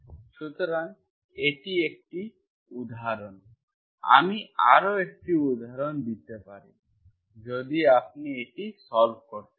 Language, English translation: Bengali, So this is one example, I can give one more example, so I can give one, one more example if you want to solve